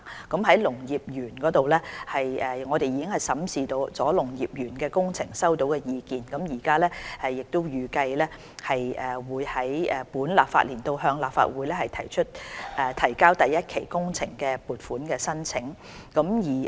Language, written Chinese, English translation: Cantonese, 在農業園方面，政府已審視農業園工程所收到的意見，預計於本立法年度向立法會提交第一期工程的撥款申請。, About agricultural parks the Government has vetted the comments received on the works on agricultural parks . Funding application for phase one construction works of the agricultural park is expected to be submitted to the Legislative Council within the current legislative year